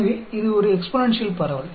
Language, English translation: Tamil, So, this is an exponential distribution